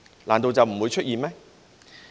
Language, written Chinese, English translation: Cantonese, 難道就不會出現嗎？, Couldnt such a situation arise?